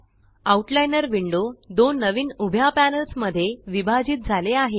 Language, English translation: Marathi, The Outliner window is now divided into two new panels